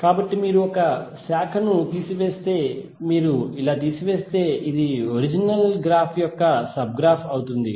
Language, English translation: Telugu, So if you remove one branch, like this if you remove it will become sub graph of the original graph